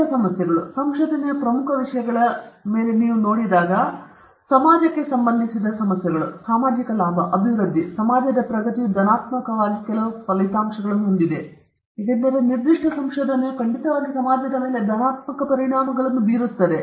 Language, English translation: Kannada, And other important issues, if you reflect upon some other important issues in research issues related to society, where social benefit, development and progress of the society is positively some of the outcomes, because a particular research will definitely have some very positive impacts on society